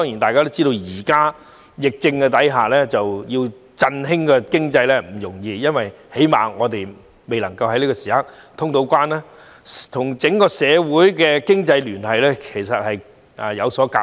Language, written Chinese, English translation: Cantonese, 大家都知道，在疫情下振興經濟並不容易，因為起碼現時仍未通關，整個社會的經濟聯繫亦存有隔膜。, We all know that it is not easy to boost the economy under the epidemic because at least traveller clearance has yet to be resumed and there are barriers affecting the economic ties of the entire society